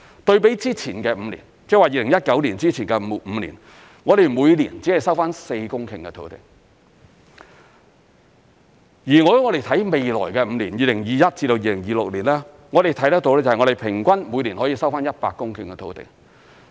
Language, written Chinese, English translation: Cantonese, 對比之前的5年，即2019年之前的5年，我們每年只收回4公頃的土地，如果我們看未來的5年，即2021年至2026年，我們看得到平均每年可收回100公頃的土地。, As compared with the preceding five years before 2019 only an average of four hectares of land had been recovered each year . In the next five years from 2021 to 2026 we expect to recover an average of 100 hectares of land annually